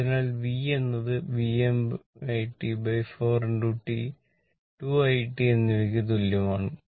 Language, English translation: Malayalam, So, v is equal to V m T by 4 into T right